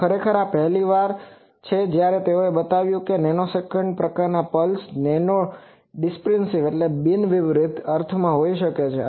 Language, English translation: Gujarati, Actually this is the first time they have shown that a nanosecond type of pulse non dispersively can be sense